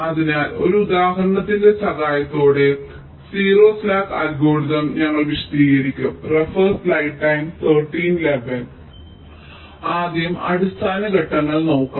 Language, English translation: Malayalam, so we shall be explaining the zero slack algorithm with the help of an example, let see first the basic steps